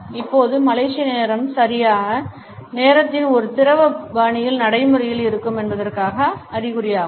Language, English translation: Tamil, Now Malaysian time is an indication that the punctuality would be practiced in a fluid fashion